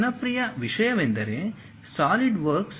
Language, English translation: Kannada, One of the popular thing is Solidworks